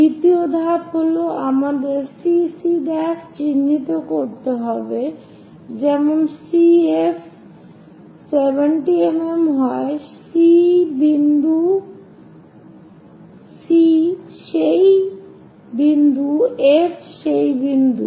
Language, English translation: Bengali, Second step is we have to mark CC prime such that C F is equal to 70 mm C is this point F is that point